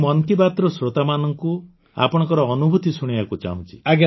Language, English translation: Odia, I would like to share your experience with the listeners of 'Mann Ki Baat'